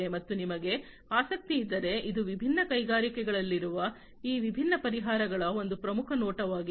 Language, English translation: Kannada, And if you are interested this was just a glimpse a highlight of these different solutions that are there in the different industries